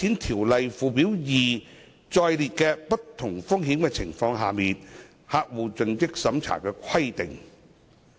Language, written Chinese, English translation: Cantonese, 《條例》附表2載列的不同風險情況下的客戶盡職審查規定。, Schedule 2 to AMLO has set out the CDD requirements applicable in different risk situations